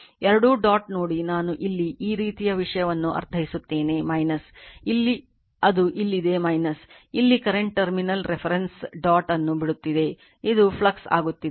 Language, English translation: Kannada, You see both dot I mean this kind of thing here it is minus here it is minus right here current leave the terminal reference dot is this one it is coming flux right